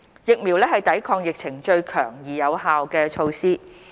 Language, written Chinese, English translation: Cantonese, 疫苗是抵抗疫情最強而有效的措施。, Vaccination is the strongest and most effective measure to curb the epidemic